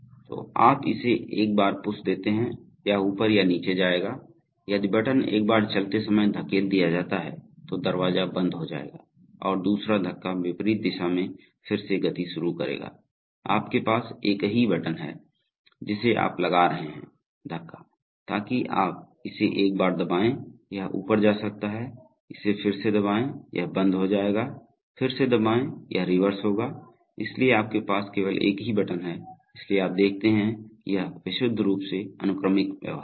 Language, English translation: Hindi, So you push it once, it will move up or down, if the button is pushed once while moving then the door will stop and a second push will start motion again in the opposite direction, so you have a single button which you are going to push, so you, so you press it once, it might go up, press it again, it will stop, press it again it will reverse, so you have only one single button, so you see that this is purely sequential behavior